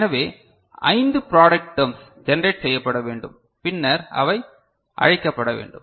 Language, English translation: Tamil, So, five product terms need to generated and then they need to be called, right